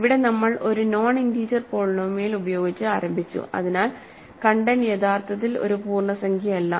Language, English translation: Malayalam, Here, we have started with a non integer polynomial, so the content is actually a non integer